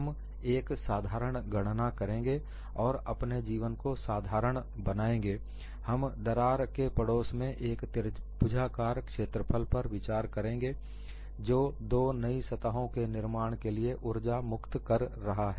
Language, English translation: Hindi, We will make a simple calculation and to make our life simple, we consider a triangular area in the neighborhood of the crack is what is releasing the energy to form the two new surfaces, it could be any shape